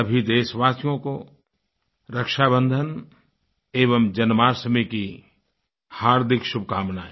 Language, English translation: Hindi, Heartiest greetings to all countrymen on the festive occasions of Rakshabandhanand Janmashtami